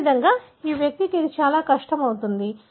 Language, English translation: Telugu, Likewise for this individual, so it becomes extremely difficult